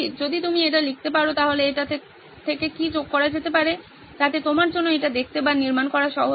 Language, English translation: Bengali, If you can write that down, sum it up from what that, so that way it is easier for you to look or build